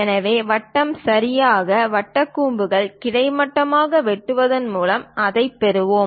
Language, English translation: Tamil, So, circle we will get it by slicing it horizontally to a right circular cone